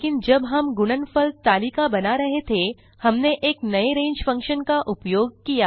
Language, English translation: Hindi, But while we were generating the multiplication table we used something new, range function